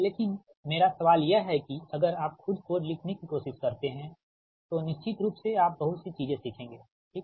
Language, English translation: Hindi, but my question is that if you try to write code of your own, then definitely you will learn many things, right